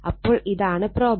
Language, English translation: Malayalam, This is the problem